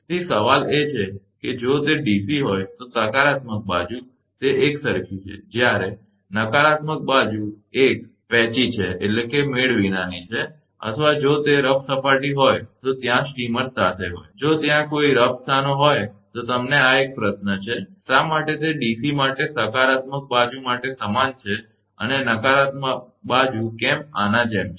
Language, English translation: Gujarati, So, question is that, the positive side if it is a DC, it is uniform where as negative side is a patchy or, if it is a rough surface is there accompanied by streamers, if there are any rough places this is a question to you, that for DC why for positive side is uniform and why negative side is like this right